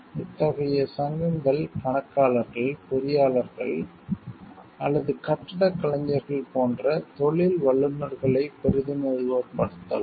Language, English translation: Tamil, Such associations might represent professionals like accountants, engineers or architects